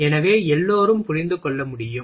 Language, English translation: Tamil, So, everybody can understand